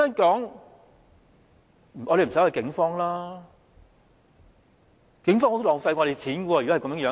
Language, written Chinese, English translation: Cantonese, 如果是這樣，警方是十分浪費我們金錢的。, If what it says is correct then the Police represent a great waste of our money